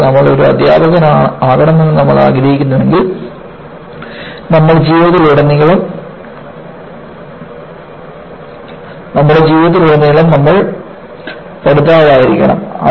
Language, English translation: Malayalam, And, what you will have to know is, you know if you have to be a teacher, you have to be a learner all through your life